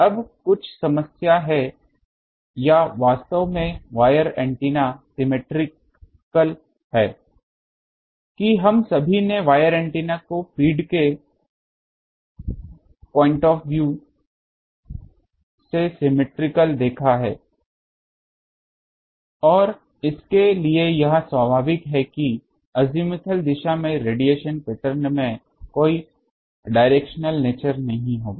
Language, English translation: Hindi, Now, that has some problem, problem or actually the wire antennas that we have seen all wire antennas are symmetrical now symmetrical from the feed point of view and for that this is natural that in the azimuthal direction the there will be no directional nature in the radiation pattern